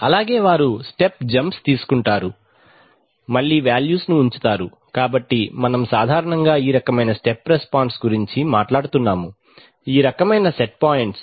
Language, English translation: Telugu, So they take step jumps, again are held, so we are typically talking of this kind of step response, this kind of set points